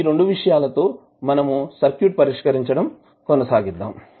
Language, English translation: Telugu, So with these 2 things let us proceed to solve the circuit